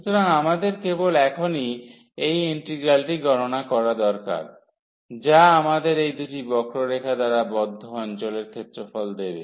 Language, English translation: Bengali, So, we need to compute simply this integral now, which will give us the area of the region enclosed by these two curves